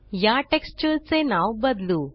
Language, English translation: Marathi, lets rename this texture